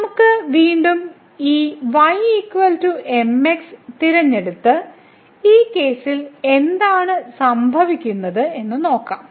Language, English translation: Malayalam, So, again let us choose this is equal to and see what is happening in this case